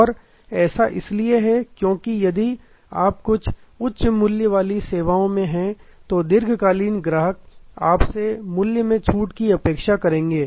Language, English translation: Hindi, And that is because if you in certain high values services, a long term customer will expect some price discount